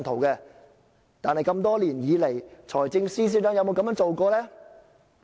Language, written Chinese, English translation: Cantonese, 但是，多年來，財政司司長有否這樣做過？, However has the Financial Secretary ever made such an arrangement over the years?